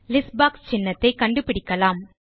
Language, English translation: Tamil, Let us find our list box icon